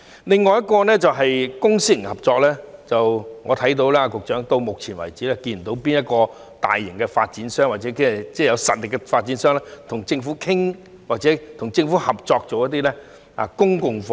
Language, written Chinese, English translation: Cantonese, 另一點是公私營合作，直至目前為止，我看不到有哪間大型或有實力的發展商與政府商討或合作興建公共房屋。, Another point is about the public - private partnership . So far I cannot see any of the major or powerful developers negotiating or collaborating with the Government on building public housing